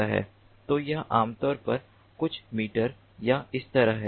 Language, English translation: Hindi, so it is typically like few meters or so